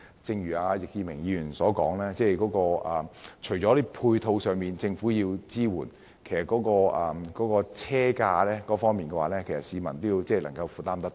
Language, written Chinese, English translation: Cantonese, 正如易志明議員所說般，要電動車普及化，除了政府要提供支援配套外，車價亦必須讓市民負擔得來。, As Mr Frankie YICK said apart from the Governments provision of support measures affordable pricing is also necessary for EVs popularization